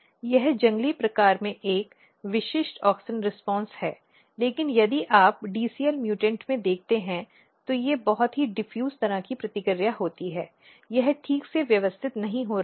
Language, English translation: Hindi, This is a kind of a typical auxin response in the wild type, but if you look in the dcl mutants, they are very diffused kind of response it is not getting properly organized